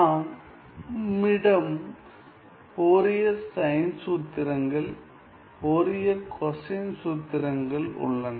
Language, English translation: Tamil, And then of course, we have Fourier cosine formulas, Fourier sine formulas